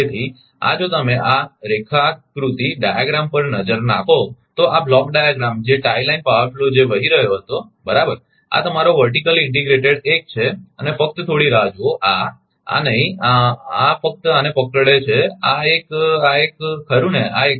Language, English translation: Gujarati, Therefore therefore, this ah if you look at this diagram, ah ah this block diagram that tie line power flow, which were flowing right, this is your vertically integrated 1 and just hold down this ah ah this a j not this one not this one just hold down this one this one this one right this one